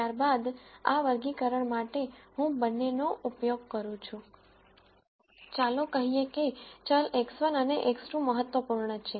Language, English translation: Gujarati, Then for this classifier, I am using both let us say variables x 1 and x 2 as being important